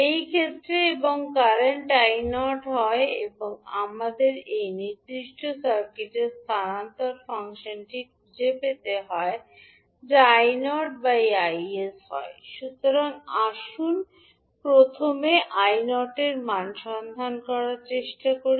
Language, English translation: Bengali, In this case and the current is I naught now we have to find out the transfer function of this particular circuit that is I naught by Is, so let us first let us try to find out the value of I naught